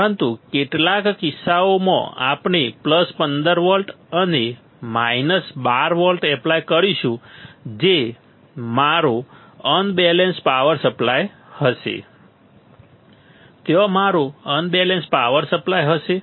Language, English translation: Gujarati, But in some cases we will we also apply plus 15 volts and minus 12 volts, plus 15 volts and minus 12 volts that will be my unbalanced power supply, there will be my unbalanced power supply ok